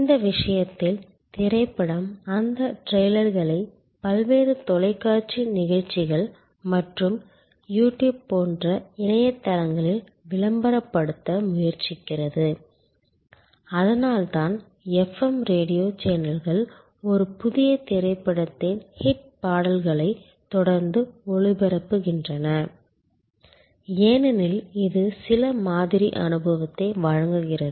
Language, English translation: Tamil, In this case that is why movie is try to promote that trailers to various television shows and internet sites like YouTube and so on that is why the FM radio channels continuously broadcast the hit songs of a new movie, because it provides some sample experience that attracts the customer to a service which is heavy with high in experience attribute